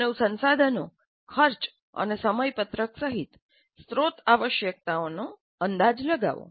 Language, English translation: Gujarati, Estimate the resource requirements including human resources, costs and schedules